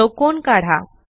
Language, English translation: Marathi, Draw a square